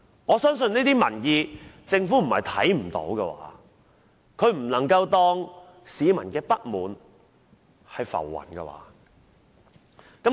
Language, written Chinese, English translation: Cantonese, 我相信政府不會看不見這些民意，不能把市民的不滿當作浮雲，對嗎？, I think the Government also knows the public opinion in this respect very well and it cannot regard the discontent of the people as floating cloud right?